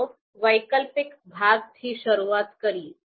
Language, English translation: Gujarati, Then, we start with the alternative section